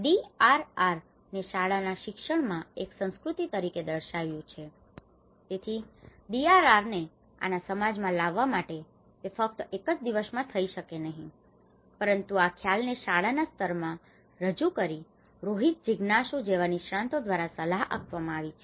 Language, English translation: Gujarati, Introducing DRR as a culture at school education, so in order to bring the DRR into our society, it cannot just happen in only one day, but by introducing these concepts at a school level, this has been advocated by different experts Rohit Jigyasu